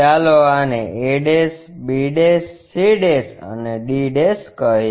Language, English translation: Gujarati, Let us call this is a', b', c', and d'